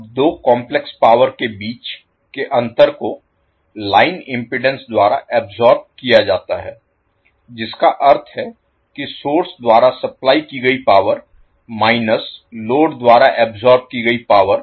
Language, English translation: Hindi, Now the difference between the two complex powers is absorbed by the line impedance that means the power supplied by the source minus the power absorbed by the load